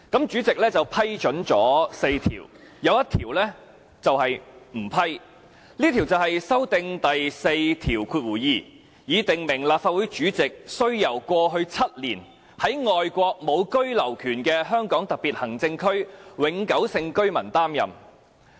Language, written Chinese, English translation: Cantonese, 主席只批准了4項，有一項不批准，這項就是修訂《議事規則》第42條，以訂明立法會主席需由過去7年在外國無居留權的香港特別行政區永久性居民擔任。, The President only approved four rejecting one which aimed to amend RoP 42 in order to require that the President of the Legislative Council shall be a permanent resident of the Hong Kong Special Administrative Region with no right of abode in any foreign country in the last seven years